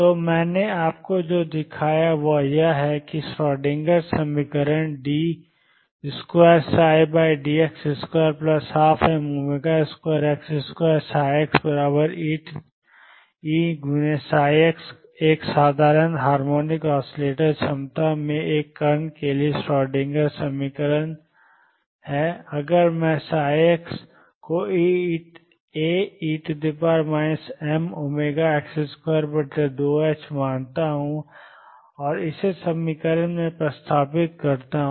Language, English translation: Hindi, So, what I have shown you is that in the Schrodinger equation d 2 psi by d x square plus one half m omega square x square psi x equals E psi x the Schrodinger equation for a particle in a simple harmonic oscillator potential, if I take psi x to be A e raised to minus m omega over 2 h cross x square and substitute this in the equation